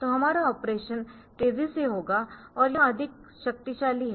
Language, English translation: Hindi, So, our operation will be faster and it is more powerful